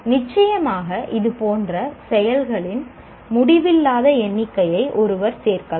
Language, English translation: Tamil, Of course, one can add endless number of such activities